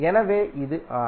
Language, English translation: Tamil, The symbol is R